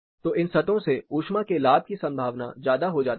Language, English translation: Hindi, So, there is more probability of heat gains from these surfaces